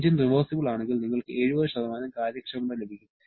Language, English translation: Malayalam, If the engine is a reversible one, you are going to get the 70% efficiency